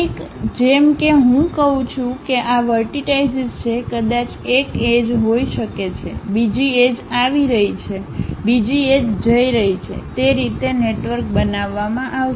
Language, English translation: Gujarati, Something, like if I am saying this is the vertex perhaps there might be one edge, another edge is coming, another edge is going; that way a network will be constructed